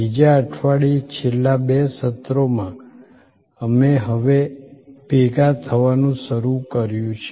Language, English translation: Gujarati, In the second week, in the last couple of sessions, we are now have started to converge